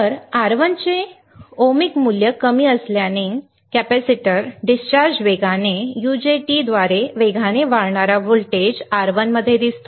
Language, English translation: Marathi, So, as the ohmic value of R1 is very low, the capacitor discharge is rapidly through UJT the fast rising voltage appearing across R1